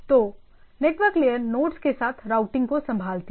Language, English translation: Hindi, So, network layer handles this routing along the nodes